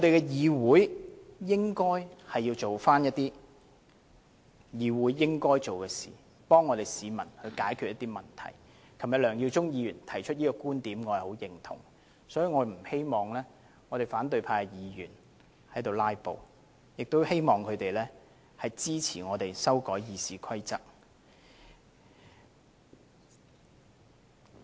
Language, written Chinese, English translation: Cantonese, 議會應該做該做的事，替市民解決問題，梁耀忠議員昨天提出這個觀點，我十分認同，所以我不希望反對派議員"拉布"，希望他們支持我們修改《議事規則》。, This Council should do what should be done and address the problems of members of the public . I strongly agree with the point raised by Mr LEUNG Yiu - chung yesterday and so I do not want to see any more filibustering of opposition Members and hope that they will support our proposals to amend RoP